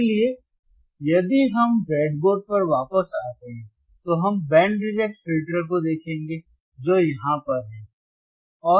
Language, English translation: Hindi, So, if we come back to the breadboard, if we come back to the breadboard , we will see the function first the band reject filter, which is right over here is right over here